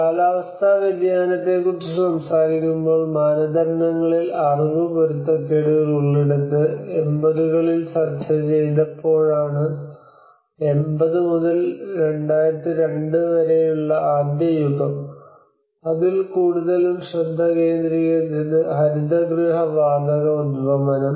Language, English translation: Malayalam, Where we have also the knowledge mismatches in the norms when we talk about the climate change, it was when it was discussed in the 80s which was the first era from 80s to 2002 it was mostly focused on the greenhouse gas emissions